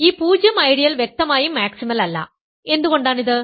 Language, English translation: Malayalam, This 0 ideal is clearly not maximal right, why is this